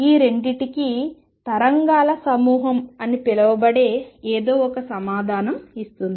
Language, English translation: Telugu, And both of these are answered by something call the group of waves